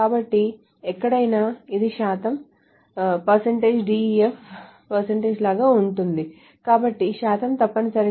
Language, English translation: Telugu, So wherever this is like a percentage, so the percentage essentially sub string